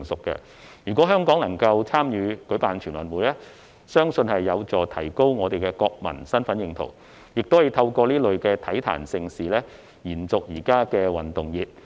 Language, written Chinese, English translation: Cantonese, 如果香港能參與舉辦全運會，相信有助提高國民的身份認同，亦可透過這類體壇盛事延續現時的運動熱。, If Hong Kong can take part in hosting the National Games I believe it will be conducive to enhancing the sense of national identity and the present sports craze can also be kept on through such kind of mega sports events